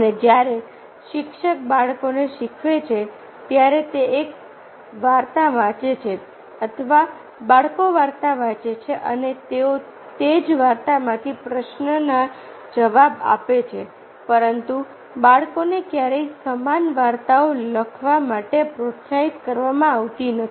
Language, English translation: Gujarati, and when the teacher, even teachers to children, he or she read a story or a children read a story and they answer the question from the same story, but never the children are encourage to write similar stories